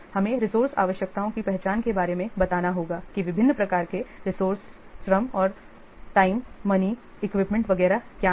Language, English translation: Hindi, We have explained the identification of resource requirements such as what the different types of resources are the labor and time, money, equipment, etc